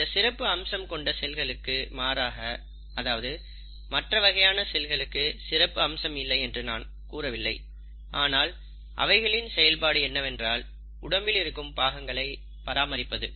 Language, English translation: Tamil, In contrast to these highly specialized cells, I won't say the other group of cells are not specialized, but then their function is to maintain the body parts